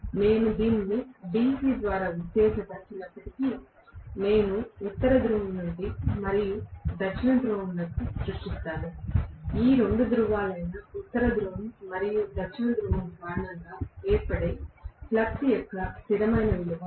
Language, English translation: Telugu, Even if I excite this by DC, I would create rather a North Pole and South Pole which will be, you know a constant value of flux that will be created because of these two poles, North Pole and South Pole